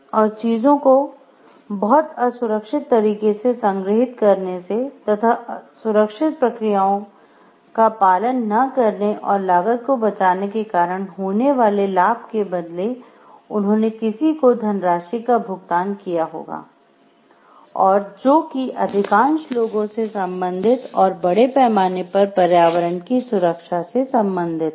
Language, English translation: Hindi, And the benefit that they get from storing the things in a very unsafe way or not following the processes and the cost that someone has to pay with respect to the safety hazards, which is related to the majority of the people the environment at large